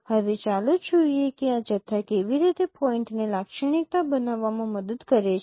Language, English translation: Gujarati, Now let us see that how these quantities they help us in characterizing the point